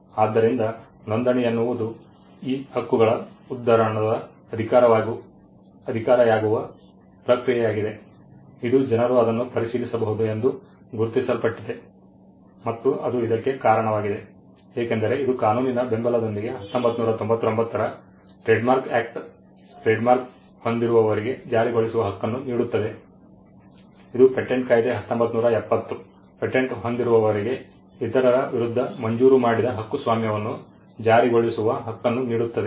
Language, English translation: Kannada, So, registration is the process by which these rights become quote unquote official, it is recognized people can verify it and it is also because, it is backed by a law the trade marks act of 1999 is what gives the trademark holder a right to enforce it the patents act 1970 gives the patent holder a right to enforce a granted patent against others